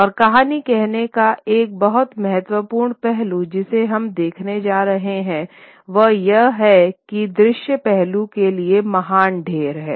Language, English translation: Hindi, And one very important aspect of storytelling is something that we are going to see is that it also you know pays great heat to the visual aspect